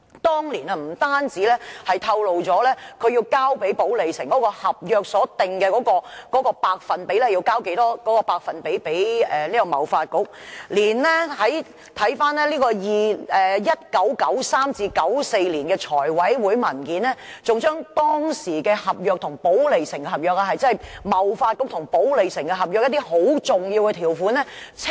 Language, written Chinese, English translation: Cantonese, 當年不單透露了批予寶利城的合約訂明要把收入的多少百分比交給貿發局，回看 1993-1994 年度財務委員會的文件，當時還清楚列出貿發局與寶利城的合約中一些很重要的條款。, Back in those years not only did the Government tell us the percentage of income given to TDC as stated in the contract with Polytown but from the Finance Committee papers in 1993 - 1994 it also clearly listed out certain important terms in the contract between TDC and Polytown . President you have been a Member